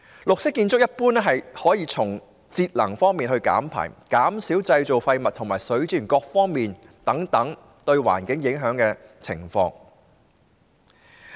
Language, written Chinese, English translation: Cantonese, 綠色建築一般可以從節能減排、減少製造廢物和善用水資源等各方面改善對環境的影響。, Green buildings can generally improve the environmental impact in terms of energy saving emission and waste reduction and better use of water resources